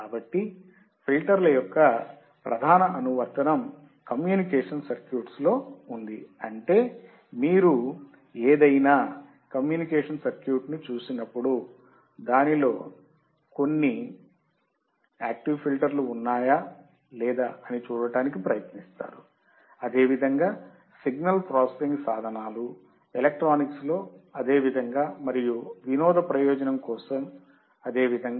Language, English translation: Telugu, So, main application of filters are in communication circuits so that means, when you see any communication circuit, you try to see whether it has some active filters or not, same way signal processing tools, same way in electronics and same way for entertainment purpose